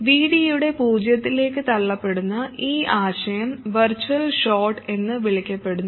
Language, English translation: Malayalam, And this concept of VD being forced to 0, this is known as the virtual short